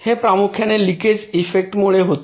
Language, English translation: Marathi, these occur mainly due to the leakage effects